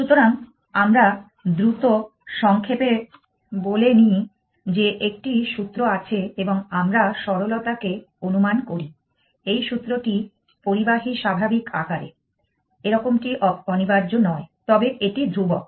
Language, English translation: Bengali, So, we just over quick recap that there is a formula and you we will assume for simplicity that this formula is in conductive normal form we does not have to be, but it is contempt